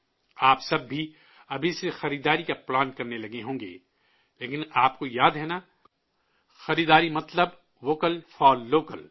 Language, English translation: Urdu, All of you must have started planning for shopping from now on, but do you remember, shopping means 'VOCAL FOR LOCAL'